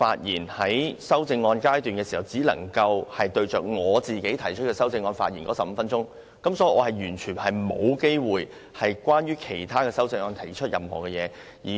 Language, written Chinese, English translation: Cantonese, 因應你的限制，我剛才只能針對自己的修正案發言15分鐘，完全沒有機會就其他修正案提出意見。, As a result of your restriction I can speak only on my own amendment for 15 minutes and have no opportunity at all to present my views on other amendments